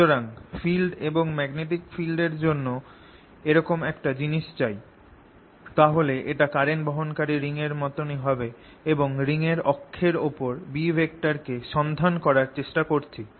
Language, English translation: Bengali, so if i would make a similar thing for field and magnetic field, it will be similar to a current carrying ring and i'm trying to find the b field on the axis of this ring